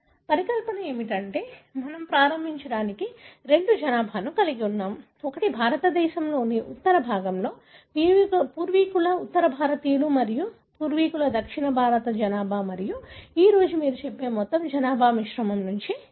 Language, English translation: Telugu, The hypothesis is that we have had two population to begin with, one what is called as ancestral North Indian on the Northern part of India and ancestral South Indian population and all the population that you, say, see today are all derived from the mixture of these two